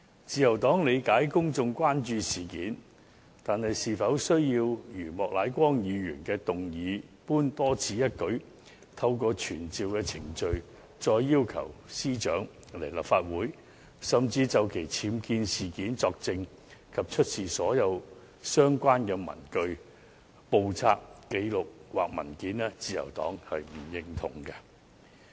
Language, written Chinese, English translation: Cantonese, 自由黨理解公眾關注這事件，但對於莫乃光議員動議的議案，透過傳召程序，要求司長前來立法會，就其寓所的僭建物作證及出示所有相關的文據、簿冊、紀錄或文件，自由黨卻不認同。, The Liberal Party understands the publics concern about the matter but the Liberal Party does not support Mr Charles Peter MOKs motion to summon the Secretary for Justice to attend before the Council to testify and to produce all relevant papers books records or documents